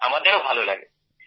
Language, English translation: Bengali, We also get satisfaction sir